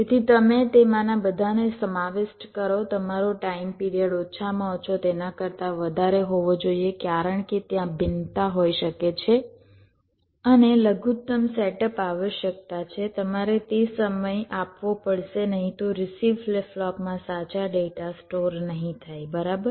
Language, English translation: Gujarati, your time period should be at least greater than that, because whatever variations can be there and whatever minimum setup requirement is there, you must provide that much time, otherwise the correct data may not get stored in the receiving flip flop, right, ok